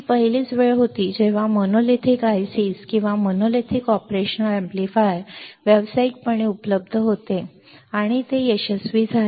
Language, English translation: Marathi, This was the first time when monolithic ICs or monolithic operation amplifier was available commercially, and it was successful